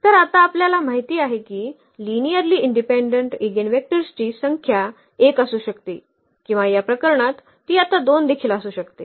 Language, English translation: Marathi, So, we know now that the number of linearly independent eigenvectors could be 1 or it could be 2 also now in this case